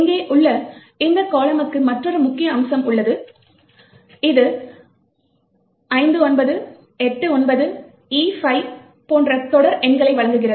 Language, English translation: Tamil, Another important aspect for us is this column over here, which gives you a series of numbers like 59, 89, E5 and so on